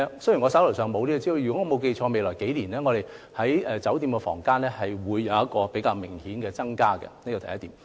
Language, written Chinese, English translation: Cantonese, 雖然我手上沒有這方面的資料，如果沒有記錯，酒店房間的供應在未來數年將會有較明顯的增加，這是第一點。, Though I do not have such information on hand if my memory is correct the supply of hotel rooms will see a significant growth in the next few years . This is the first point